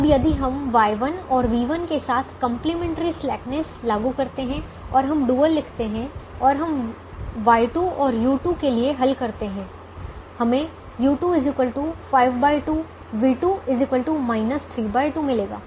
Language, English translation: Hindi, now, if we apply the complimentary slackness with y one and v one to zero and we write the dual and we solve for y two and u two, we will get: y two is equal to five by two, v two is equal to minus three by two